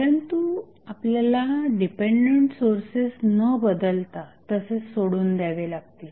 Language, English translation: Marathi, But, we have to leave the dependent sources unchanged